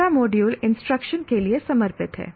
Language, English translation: Hindi, The entire module is dedicated to the instruction